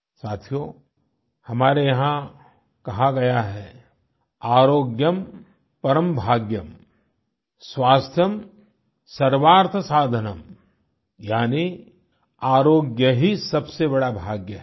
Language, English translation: Hindi, Friends, we are familiar with our adage "Aarogyam Param Bhagyam, Swasthyam Sarwaarth Sadhanam" which means good health is the greatest fortune